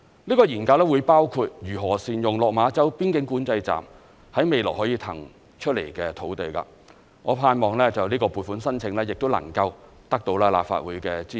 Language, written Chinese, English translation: Cantonese, 這項研究會包括如何善用落馬洲邊境管制站在未來可以騰出來的土地，我盼望這項撥款申請亦能夠得到立法會的支持。, The study will look into the ways to make best use of the sites to be vacated from the Lok Ma Chau Boundary Control Point in future . I hope the Legislative Council will give its support to this funding request